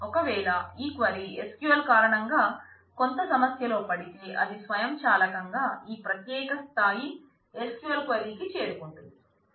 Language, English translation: Telugu, And in case this query has got into some problem because of SQL, then it will automatically jump to SQL query this particular level